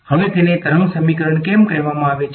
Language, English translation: Gujarati, Now, why is it called a wave equation